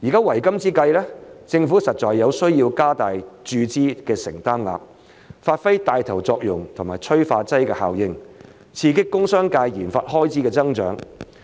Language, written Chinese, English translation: Cantonese, 為今之計，政府實在有需要加大注資的承擔額，發揮帶頭作用和催化劑效應，刺激工商界研發開支的增長。, The only solution now is for the Government to increase its funding commitment so as to play a leading and catalytic role in stimulating the growth of RD expenditure in the industrial and commercial sectors